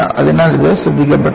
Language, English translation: Malayalam, So, it was not noticed